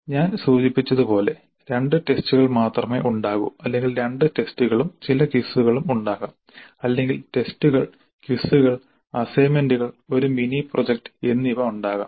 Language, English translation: Malayalam, As I mentioned there can be only two tests or there can be two tests and certain quizzes or there can be tests, quizzes, assignments or there can be tests, then a mini project